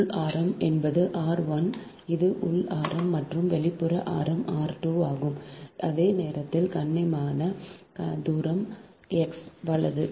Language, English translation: Tamil, this is that inner radius and outer radius is r two, at same as be polite distance x